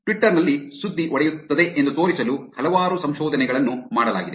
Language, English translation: Kannada, There is multiple research done to show that Twitter is where news breaks